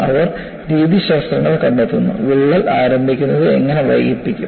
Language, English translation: Malayalam, They find out methodologies, how the crack initiation can be delayed